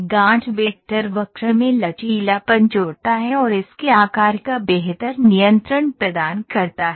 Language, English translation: Hindi, The knot vector adds flexibility to the curve and provides better control of its shape